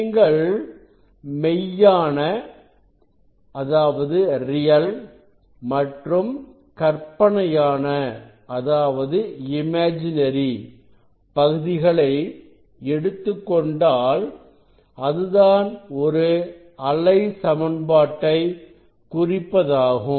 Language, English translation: Tamil, if you take the take the real part or imaginary part, so they will represent thewave equation